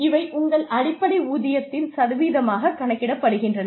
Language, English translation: Tamil, These are calculated, as a percentage of your basic pay